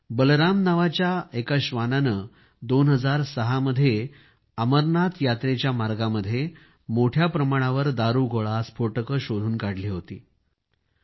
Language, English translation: Marathi, One such canine named Balaram sniffed out ammunition on the route of the Amarnath Yatra